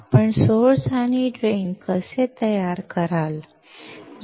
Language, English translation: Marathi, How you will create source and drain